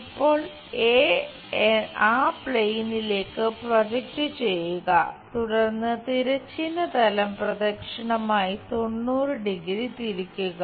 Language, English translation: Malayalam, Now, project a onto that plane here, then rotate horizontal plane in the clockwise direction by 90 degrees